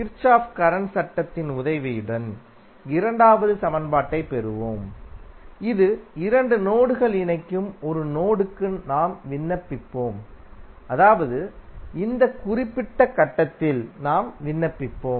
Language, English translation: Tamil, We will get the second equation with the help of Kirchhoff Current Law which we will apply to a node where two meshes intersect that means we will apply at this particular point